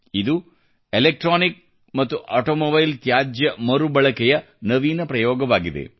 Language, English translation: Kannada, This is an innovative experiment with Electronic and Automobile Waste Recycling